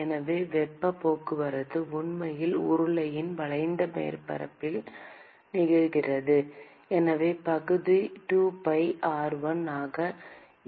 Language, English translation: Tamil, So, the heat transport is actually occurring alng the curved surface of the cylinder and so, the area is 2pi r1 into L